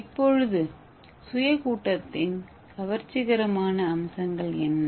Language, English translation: Tamil, So what are the attractive features of self assembly